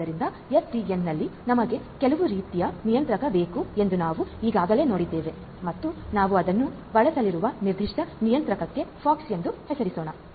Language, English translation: Kannada, So, in SDN we have already seen that we need some kind of a controller and is the specific controller that we are going to use it is name is pox